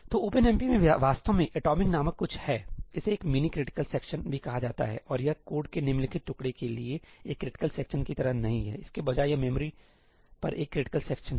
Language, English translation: Hindi, So, there is actually something called ëatomicí in OpenMP; it is also called a mini critical section; and this is not like a critical section for the following piece of code, instead it is a critical section on the memory location